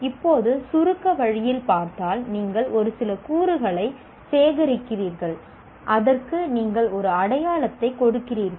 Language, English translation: Tamil, Now, in an abstract way if you look at, you collect a set of elements and you are saying you are giving a label to that